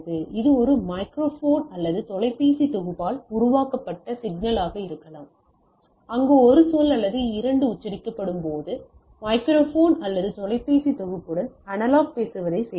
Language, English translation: Tamil, It can be the signal created by a microphone or a telephone set, where the when a word or two are pronounced like, so it is I am doing analog talking with a in a microphone or telephone set